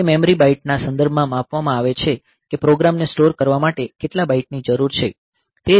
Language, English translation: Gujarati, So, it is measured in terms of say memory bytes how many bytes are needed for storing the program ok